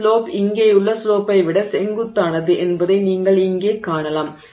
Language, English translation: Tamil, So, you can see here for example that this slope here is steeper than the slope here